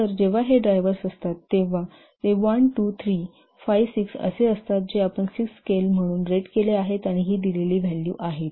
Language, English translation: Marathi, So when these are the drivers, these are the 1, 2, 6, it is rated as 6 scale and these are the values, these have been given